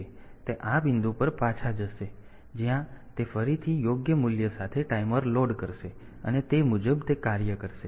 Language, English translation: Gujarati, So, it will jump back to this point, where it will be again loading the timer with the appropriate value, and accordingly it will work